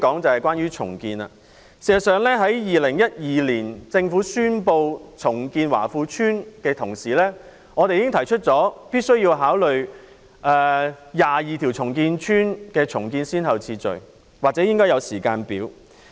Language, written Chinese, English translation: Cantonese, 政府2012年宣布重建華富邨時，我們已經提出必須考慮重建22條屋邨的先後次序，或應該訂立時間表。, When the Government announced the redevelopment of Wah Fu Estate in 2012 we have already suggested that priority be set for redeveloping the 22 housing estates or a timetable be drawn up